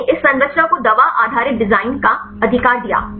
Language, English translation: Hindi, This gave this structure based drug design right